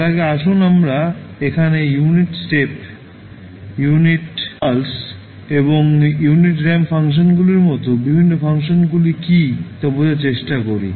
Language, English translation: Bengali, Before that, let us try to understand what are the various functions which we just mentioned here like unit step, unit impulse and unit ramp functions